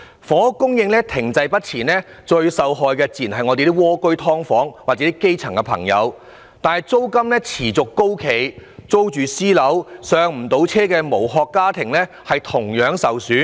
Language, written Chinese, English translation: Cantonese, 房屋供應停滯不前，最受害的自然是在"蝸居"、"劏房"居住的基層朋友，但租金持續高企，那些租住私樓，無法"上車"的無殼家庭同樣受害。, Those who suffer most from a stagnant housing supply are surely the grass roots living in tiny flats and subdivided units but shell - less families who cannot afford home ownership and have to rent private property also suffer due to persistently high level of rentals